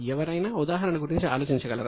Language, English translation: Telugu, Can somebody think of the example